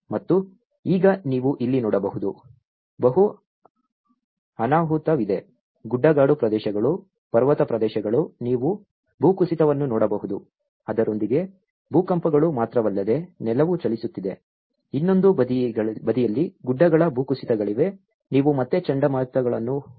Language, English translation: Kannada, And now, you can see here, there is a multiple disaster being a hilly areas, a mountainous areas you can see the landslides along with it not only the earthquakes the ground is not just moving around there is hills landslides on the other side, you have the Hurricanes which is again